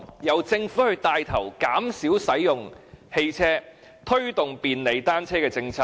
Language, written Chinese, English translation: Cantonese, 由政府牽頭，減少使用汽車，推動便利單車的政策。, The Government took the lead to reduce the use of cars and promote a policy favourable to cycling